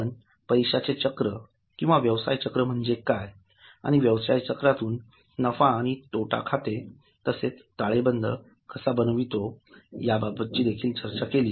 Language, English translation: Marathi, So, we have discussed what is money cycle or business cycle and from business cycle, how do you get P&L and balance sheet